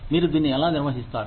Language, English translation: Telugu, How do you manage it